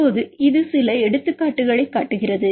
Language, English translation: Tamil, Now, it show some examples